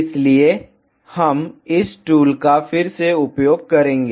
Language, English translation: Hindi, So, we will make use of this tool again